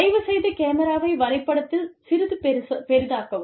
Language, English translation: Tamil, If the camera, can please be zoomed on the diagram, a little bit